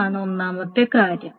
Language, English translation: Malayalam, That is number one